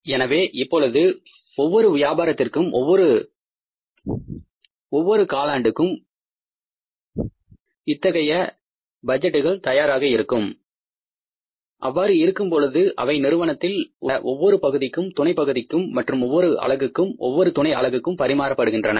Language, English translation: Tamil, So, now for every quarter for every business, when this kind of the budget is ready, it remains communicated to the different sections, subsections, units and subunits in the organization